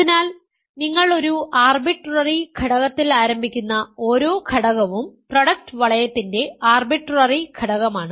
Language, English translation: Malayalam, So, every element you start with an arbitrary element, this is an arbitrary element of the product ring